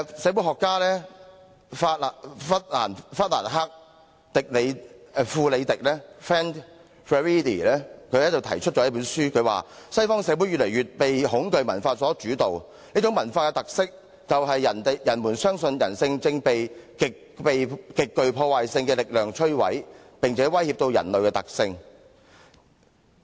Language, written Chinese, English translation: Cantonese, 社會學家弗蘭克.富里迪在其書中提到：西方社會越來越被恐懼文化所主導，這種文化的特色，就是人們相信人性正被極具破壞性的力量摧毀，並且威脅到人類的存在。, Sociologist Frank FUREDI wrote in his book Western societies are increasingly dominated by a culture of fear . The defining feature of this culture is the belief that humanity is confronted by powerful destructive forces that threaten our everyday existence